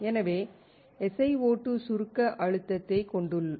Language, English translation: Tamil, So, SiO2 has compressive stress